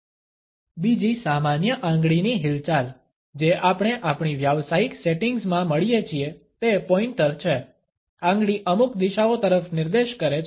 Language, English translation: Gujarati, Another common finger movement, which we come across in our professional settings, is the pointer, the finger pointing at certain directions